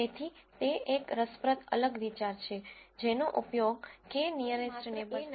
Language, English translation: Gujarati, So, that is an interesting different idea that one uses in k nearest neighbors